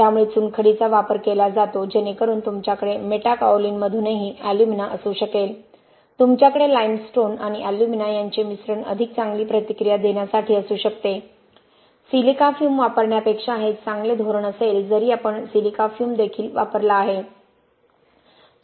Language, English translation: Marathi, So limestone is used so that you can have alumina also from Metakaolin you can have combination of limestone and alumina to react better, that will be a better strategy than using silica fume even though we have used silica fume also